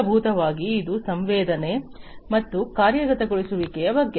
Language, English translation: Kannada, At the very core of it, it is about sensing and actuation